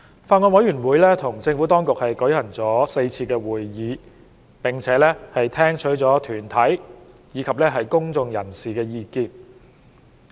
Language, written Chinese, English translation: Cantonese, 法案委員會與政府當局舉行了4次會議，並聽取了團體及公眾人士的意見。, The Bills Committee has held four meetings with the Administration and received views from deputations and members of the public